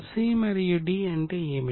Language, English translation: Telugu, What is C and D